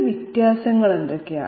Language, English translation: Malayalam, What are their differences